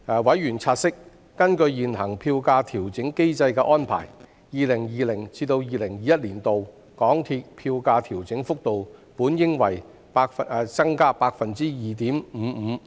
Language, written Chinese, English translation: Cantonese, 委員察悉，根據現行票價調整機制的安排 ，2020-2021 年度港鐵票價調整幅度本應為 +2.55%。, Members noted that according to the prevailing arrangement under the Fare Adjustment Mechanism FAM the fare adjustment rate for MTR fares in 2020 - 2021 should originally be 2.55 %